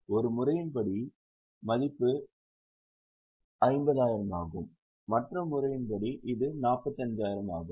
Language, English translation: Tamil, As per one method, the value 50,000, as per the other method it is 45,000